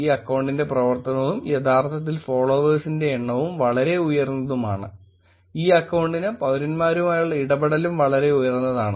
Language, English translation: Malayalam, The activity of this account is actually very high and the number of followers; the interaction that this account has with citizens is also pretty high